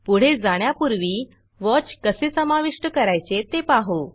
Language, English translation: Marathi, Before proceeding, let us see how to add a watch